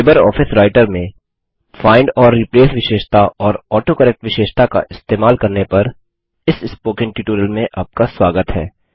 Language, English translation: Hindi, Welcome to the Spoken tutorial on LibreOffice Writer – Using Find and Replace feature and the AutoCorrect feature in Writer